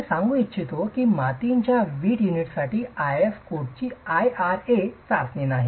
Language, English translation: Marathi, I would like to point out that the IS code for clay brick units does not have an IRA test